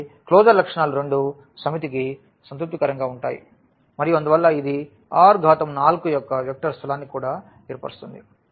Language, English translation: Telugu, So, the both the closure properties are satisfied for the set and hence this will also form a vector space of R 4